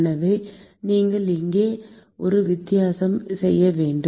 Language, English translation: Tamil, So, you have to make a distinction here